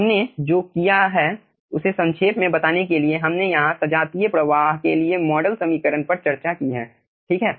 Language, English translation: Hindi, okay, to summarize so what we have done, we have discussed the model equation for homogeneous flow over here